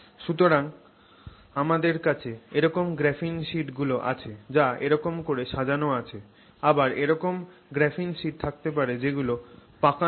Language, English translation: Bengali, So, you can have graphene sheets that are oriented exactly like this, you can also have graphene sheets that are twisted